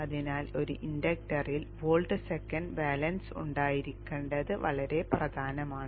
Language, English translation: Malayalam, So it is very, very important that there is volt second balance in an inductor